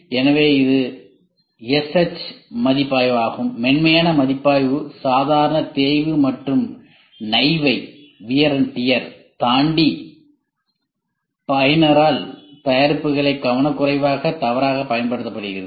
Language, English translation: Tamil, So, this is SH review, the soft review looks into the careless misuse of products by user beyond normal wear and tear